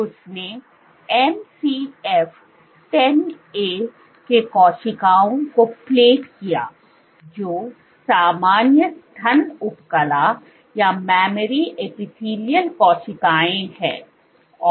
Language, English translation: Hindi, So, she asked, so what she did was she plated cells MCF 10A, these are normal mammary epithelial cells